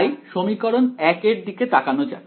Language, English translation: Bengali, So, let us look at equation let us look at equation 1 ok